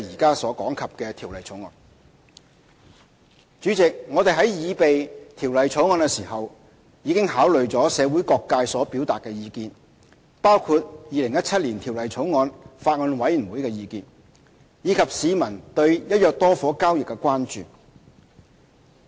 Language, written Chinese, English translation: Cantonese, 代理主席，我們在擬備《條例草案》時，已考慮社會各界所表達的意見，包括《2017年條例草案》法案委員會的意見，以及市民對"一約多伙"交易的關注。, Deputy President in drawing up the Bill we have taken into account the views expressed by various sectors of the community including the views of the Bills Committee on Stamp Duty Amendment Bill 2017 as well as public concerns over transactions involving the purchase of multiple flats under one agreement